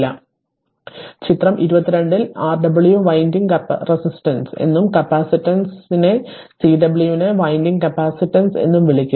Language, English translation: Malayalam, So, in figure 22 that that I told you Rw is called winding resistance and capacitance Cw is called the winding capacitance right